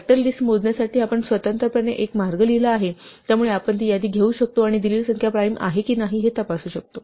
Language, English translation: Marathi, We have separately written a way to compute the list of factors, so we can take that list and directly check whether or not a given number is prime